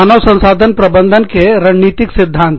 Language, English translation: Hindi, What is strategic human resource management